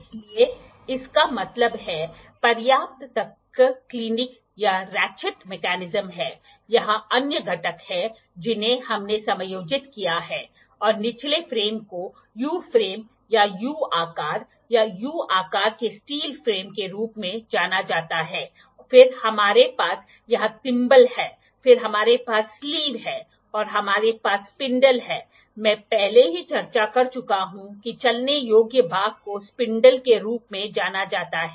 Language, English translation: Hindi, So; that means, enough one click this is ratchet attachment, other components here are we have adjusting at and the frame the lower frame is known as U frame or U shape or U shaped steel frame, then we have thimble here, then we have sleeve here we have spindle I have already discussed the moveable part is known as spindle